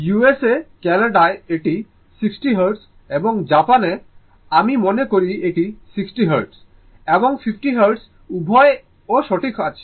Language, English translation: Bengali, In USA, Canada, it is 60 Hertz and in Japan, I think it has 60 Hertz and 50 Hertz both are there right